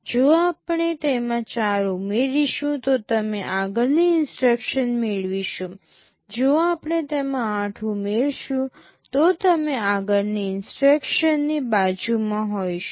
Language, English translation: Gujarati, If we add 4 to it, we will be getting the next instruction; if we add 8 to it, we will be the next to next instruction